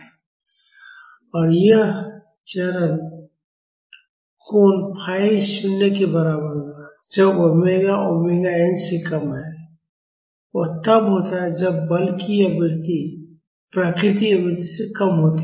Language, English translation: Hindi, And this phase angle phi will be equal to 0, when omega is less than omega n; that is when the forcing frequency is less than the natural frequency